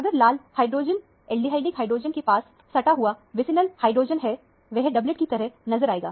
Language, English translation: Hindi, If the red hydrogen – aldehydic hydrogen has an adjacent vicinal hydrogen, that would appear as a doublet